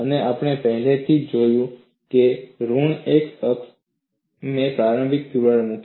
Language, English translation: Gujarati, And we have already noted, on the negative x axis, I put the initial crack